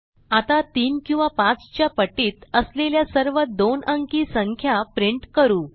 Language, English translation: Marathi, Now let us print all the 2 digit numbers that are multiples of 3 or 5